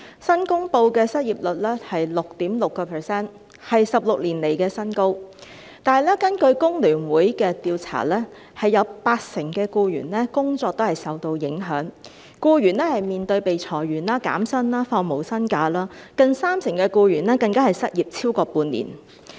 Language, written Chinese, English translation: Cantonese, 新公布的失業率是 6.6%， 為16年來的新高，但是，根據香港工會聯合會的調查，有八成僱員的工作都是受到影響，僱員面對被裁員、減薪、放無薪假，近三成僱員更失業超過半年。, The lately announced unemployment rate is 6.6 % which is a record high in 16 years . However according to the survey conducted by the Hong Kong Federation of Trade Unions FTU the employment of 80 % of employees has been affected . Employees need to face layoffs wage reductions and furloughs and nearly 30 % of them have been jobless for half a year